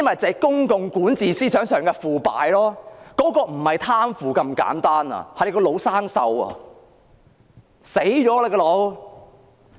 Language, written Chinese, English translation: Cantonese, 這是公共管治思想上的腐敗，而且不是貪腐那麼簡單，是腦袋死亡。, This is corruption in public governance; not just corruption but brain death